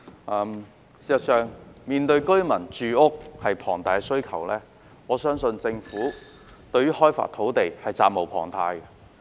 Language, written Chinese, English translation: Cantonese, 事實上，面對龐大的住屋需求，我相信政府對開發土地是責無旁貸的。, In fact I believe given the enormous housing demand the Government has a bounden duty to develop land